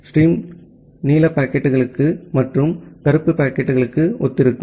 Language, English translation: Tamil, These are the streams corresponds to the blue packets and the black packets